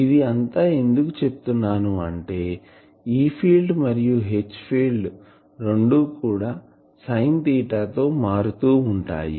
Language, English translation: Telugu, So, now can you explain why this is so, because the E field and H field both have a sin theta variation